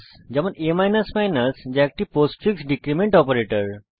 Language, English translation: Bengali, a is a postfix decrement operator